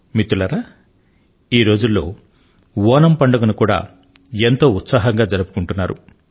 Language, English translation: Telugu, Friends, these days, the festival of Onam is also being celebrated with gaiety and fervour